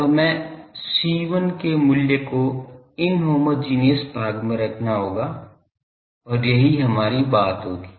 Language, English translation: Hindi, Now, we will have to put the value of C1 from the inhomogeneous part and that will be our thing